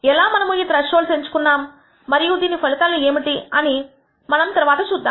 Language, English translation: Telugu, How we choose these thresholds and what are the implications we will see later